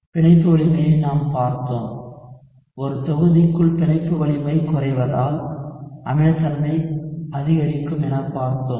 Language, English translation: Tamil, We had also looked at bond strength, so within a group, so within a group what you see is as the bond strength decreases the acidity increases